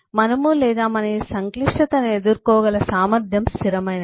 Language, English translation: Telugu, we or capacity of being to able to cope with this complexity is fixed